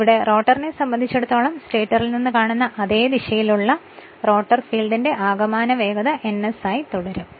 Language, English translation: Malayalam, So, so here so this is your what you call that with respect to the rotor that is same direction the net speed of the rotor field as seen from the stator is it will remain as your ns right